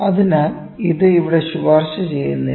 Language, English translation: Malayalam, So, this is not recommended here